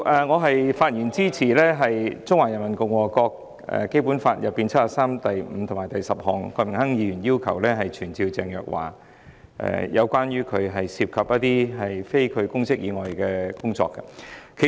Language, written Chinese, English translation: Cantonese, 我發言支持郭榮鏗議員，根據《基本法》第七十三條第五項及第十項，動議傳召鄭若驊解說她涉及的非公職工作的議案。, I speak in support of the motion moved by Mr Dennis KWOK in accordance with Article 735 and 10 of the Basic Law to summon Teresa CHENG to explain her engagement in non - public work